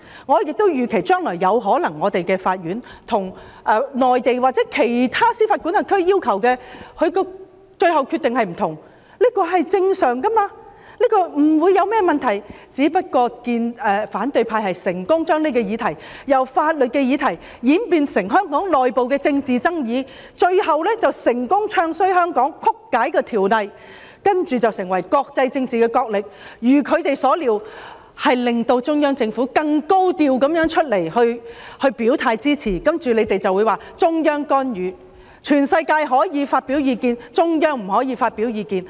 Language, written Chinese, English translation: Cantonese, 我亦預期將來對於內地或其他司法管轄區的要求，香港的法院最後的決定有可能是不同的，這是正常的，不會有任何問題，只不過反對派成功地把這個議題由法律的議題演變成香港內部的政治爭議，最後成功"唱衰"香港、曲解條例，接着演變為國際政治角力，再如他們所料，令中央政府更高調地出來表態支持，然後你們便說中央干預，全世界可以發表意見，中央不可以發表意見。, I also expect that regarding future requests from the Mainland or other jurisdictions the Court in Hong Kong may probably make different determinations ultimately . This is just normal and there will not be any problem just that the opposition camp has successfully transformed this issue from a legal issue to a political controversy within Hong Kong which has eventually enabled them to bad mouth Hong Kong successfully distort the law and then precipitate an international political struggle . And just as they expected the Central Government has to come forth and take a higher profile in expressing its support and then they can term it as intervention by the Central Authorities